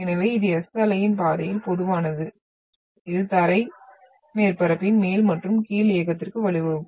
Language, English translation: Tamil, So this is typical of the passage of the S wave which will result into the up and down movement of the ground surface